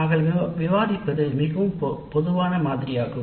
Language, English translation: Tamil, So what we are discussing is a very broad sample framework